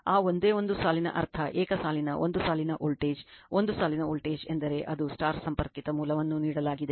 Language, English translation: Kannada, That single one line means single line one line voltage, one line voltage I mean one is star connected source is given this right